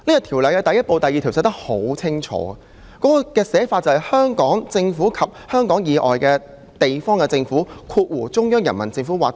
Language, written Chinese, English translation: Cantonese, 《條例》的第1部第2條清楚訂明："香港政府及香港以外地方的政府"。, 503 . Section 2 of Part 1 of the Ordinance sets out clearly the Government and the government of a place outside Hong Kong